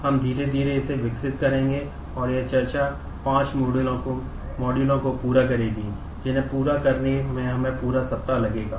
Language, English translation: Hindi, We will slowly develop that and this discussion will span 5 modules that is we will take the whole week to complete